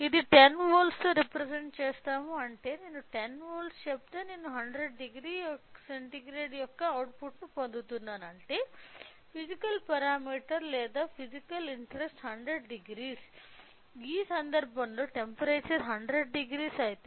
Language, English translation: Telugu, It will be represented in 10 volts which means that if I say 10 volts I am getting output of 100 degree means the physical parameter or physical interest is of 100 degree; the temperature is 100 degree in this case